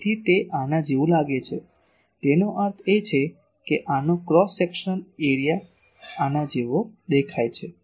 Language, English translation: Gujarati, So, it looks like this; that means, cross section of this looks like this